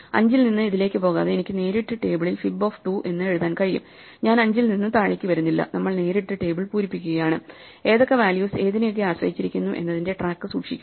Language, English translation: Malayalam, So, I can write fib 2 in the table directly without even going to it from 5, I am not coming down from 5, we are just directly filling up the table, just keeping track of which values depend on which values